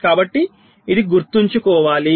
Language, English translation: Telugu, ok, so this has to be remembered now